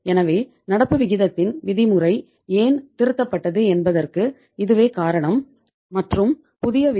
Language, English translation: Tamil, So now this is the reason that why the norm of the current ratio has been revised and now the new norm of the current ratio is 1